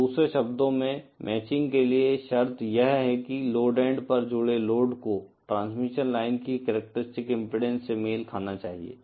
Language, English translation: Hindi, So, in other words, the condition for matching is that the load connected at the load end should match the characteristic impedance of the transmission line